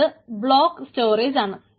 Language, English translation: Malayalam, right, so it is a block storage